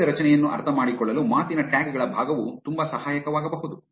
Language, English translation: Kannada, Part of speech tags can be very helpful in understanding the structure of a sentence